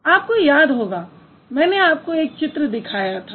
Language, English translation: Hindi, You remember I showed you that picture